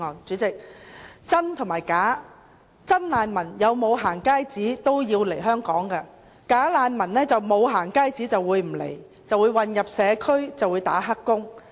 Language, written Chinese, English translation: Cantonese, 主席，真難民無論是否可以獲發"行街紙"，也會來香港；"假難民"若不獲發"行街紙"，便不會來港，混入社區當"黑工"。, President regardless of whether genuine refugees will be issued with going - out passes they will come to Hong Kong . If bogus refugees are not issued with going - out passes they will not come and get into the community to work as illegal workers